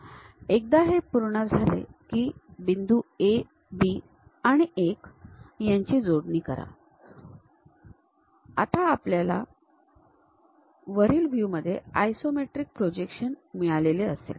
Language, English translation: Marathi, Once it is done connect point A, B and 1 in the top view we have that isometric projection